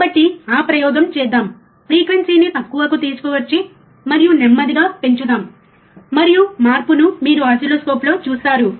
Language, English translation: Telugu, So, let us do that experiment, let us bring the frequency low and let us increases slowly, and you will see on the oscilloscope the change, alright